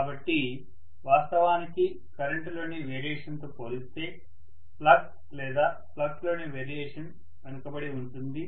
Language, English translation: Telugu, So the variation in the flux is always you know kind of left behind as compared to the variation in the current